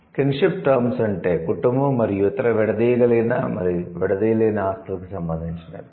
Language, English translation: Telugu, Kinship terms means related to the family and other elinable and inalienable possessions